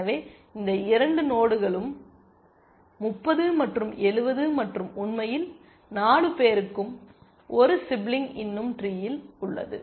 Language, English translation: Tamil, So, both these nodes 30 and 70 and in fact, all 4 have a sibling still left in the tree